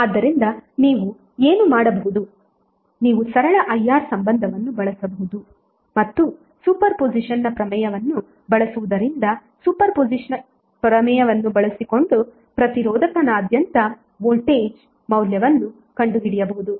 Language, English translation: Kannada, So what you can do you can use simple relationship is IR and using super position theorem you can find out the value of voltage across resistor using super position theorem